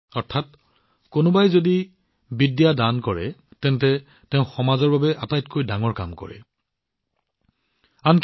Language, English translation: Assamese, That is, if someone is donating knowledge, then he is doing the noblest work in the interest of the society